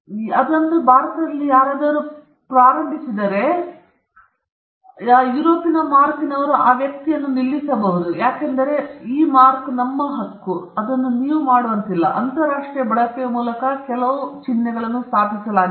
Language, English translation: Kannada, If someone, an Indian manufacture, start using Ikea, Ikea could still come and stop that person, because their right to the mark is established by use international use